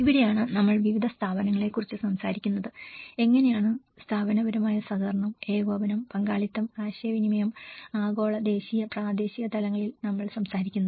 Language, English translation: Malayalam, And this is where we talk about different institutional bodies, how institutional cooperation, coordination and again at participation communication, the global and national and local levels